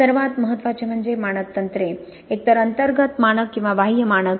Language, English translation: Marathi, The most important are the standard techniques, either internal standard or external standard